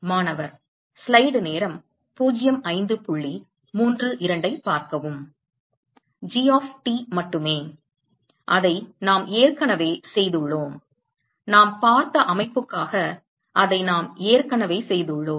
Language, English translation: Tamil, Only G of T; that we have already done; for the system that we have looked at